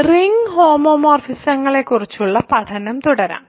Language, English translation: Malayalam, So, let us continue our study of ring homomorphisms